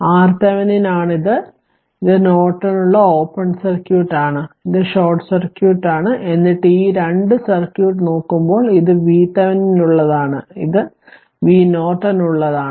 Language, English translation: Malayalam, This is for Thevenin it is open circuit for Norton, it is short circuit just to show you give you a favor of Thevenin and Norton